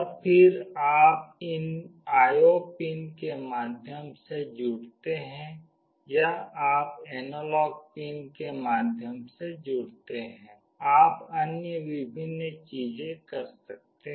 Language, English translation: Hindi, And then you connect through these IO pins or you connect through the analog pins, you can do various other things